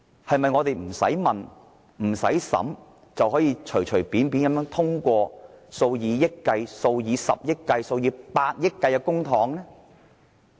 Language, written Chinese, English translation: Cantonese, 我們是否不用提問、不用審議，便隨便通過數以億元、十億元或百億元計的項目？, Should Members arbitrarily approve projects costing hundreds of millions billions or tens of billions of dollars without asking any question or holding any deliberation?